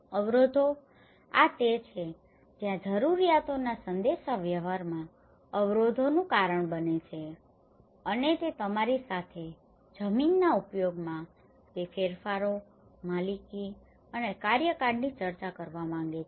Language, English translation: Gujarati, Barriers, this is where causes the barriers in communicating the needs and wants either discussed with you those changes in the land use and the ownership and the tenure